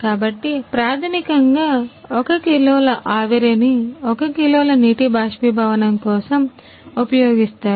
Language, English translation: Telugu, So, the basically 1 kg steam is used for 1 kg water evaporation